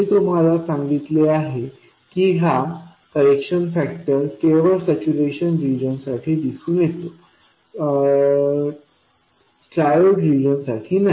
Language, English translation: Marathi, I told you that this correction factor appears only for the saturation region and not for the triode region